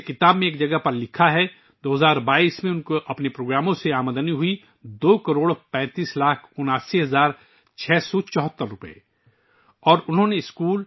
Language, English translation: Urdu, As it is written at one place in the book, in 2022, he earned two crore thirty five lakh eighty nine thousand six hundred seventy four rupees from his programs